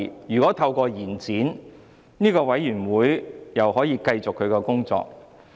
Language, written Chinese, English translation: Cantonese, 如果支持延展，小組委員會便可以繼續工作。, If Members support an extension the Subcommittee may continue with its work